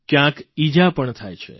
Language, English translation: Gujarati, An injury can also occur